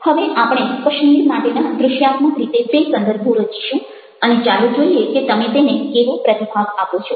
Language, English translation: Gujarati, now we will create two contexts for kashmir: visually, and let see how you respond to that